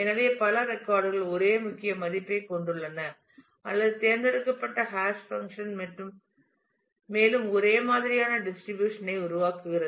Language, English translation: Tamil, So, that multiple records have the same key value or chosen hash function produces non uniform distribution and so, on